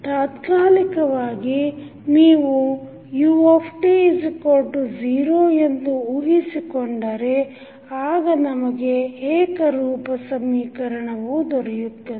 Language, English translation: Kannada, Now, if you assume for the time being that ut is 0 then we have homogeneous equation